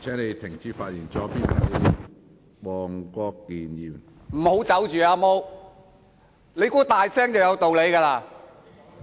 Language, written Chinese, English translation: Cantonese, 先不要離開，"阿毛"，你以為大聲便有道理嗎？, do not leave now Long Hair . Do you think shouting aloud means your arguments are valid?